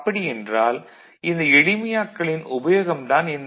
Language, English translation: Tamil, So, that is what is the usefulness of this simplification process